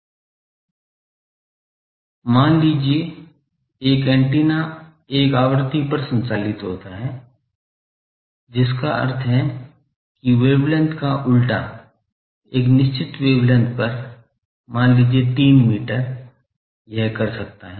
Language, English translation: Hindi, Suppose, one antenna is operates over a frequency means inverse of that wavelength, over a certain wavelength, let us say 3 meter it can do